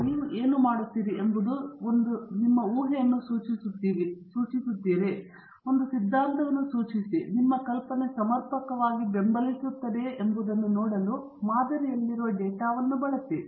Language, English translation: Kannada, Here what you do is you specify a hypothesis or you postulate an hypothesis, and use the data contained in the sample to see whether your hypothesis is adequately supported